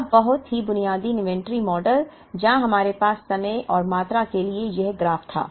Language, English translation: Hindi, Now, the very basic inventory model, where we had this graph for time and quantity